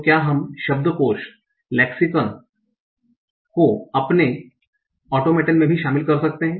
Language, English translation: Hindi, So can we include the lexicon also in my automa